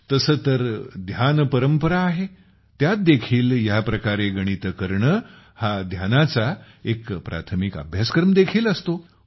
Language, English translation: Marathi, Even in the tradition of dhyan, doing mathematics in this way is also a primary course of meditation